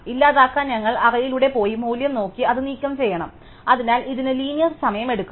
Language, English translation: Malayalam, For delete, we have to go through the array and look for the value and remove it, so it will take linear time